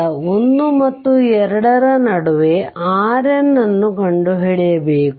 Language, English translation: Kannada, And and you have to find out R N in between your 1 and 2